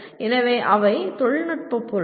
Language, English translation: Tamil, So those are the technical objects